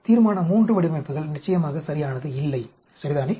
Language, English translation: Tamil, Resolution III designs are definitely not ok, ok